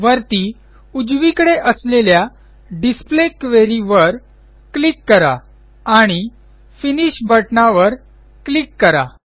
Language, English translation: Marathi, Let us click on the Display Query option on the top right side and click on the Finish button